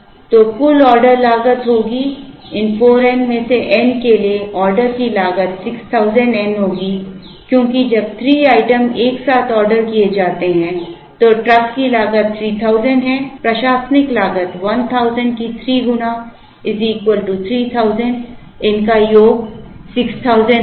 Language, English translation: Hindi, So, the total order cost will be, for n out of these 4 n the order cost will be 6000n, because when 3 items are ordered together, the truck cost is 3000 plus 3 times admin cost of 1000 will give 6000